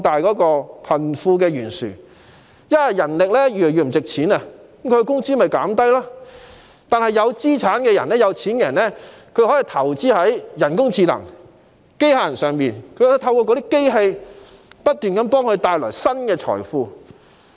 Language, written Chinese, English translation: Cantonese, 當人力資源的價值越來越低時，工資便會下降，但持有資產的有錢人卻可以投資在人工智能和機械人上，透過機器不斷為他們製造財富。, As the value of human resources declines further wages will also fall but rich people with assets may invest in AI and machinery whereby they may keep creating wealth for themselves